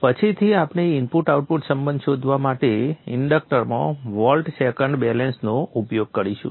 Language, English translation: Gujarati, Later we will use the old second balance across this inductor to find out the input outher relationship